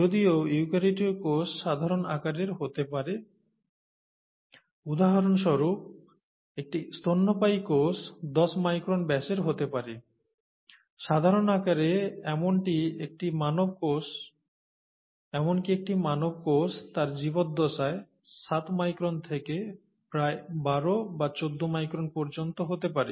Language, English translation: Bengali, Whereas a eukaryotic cell could be of a typical size, a mammalian cell for example could be of ten micron diameter, typical size, even a human cell goes anywhere from seven microns to about twelve to fourteen microns during its lifetime